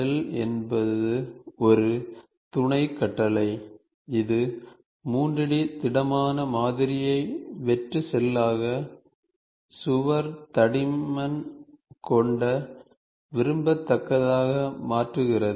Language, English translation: Tamil, Shell is a, is a sub command that converts a 3 D solid model, solid into a hollow shell with a wall thickness of desirability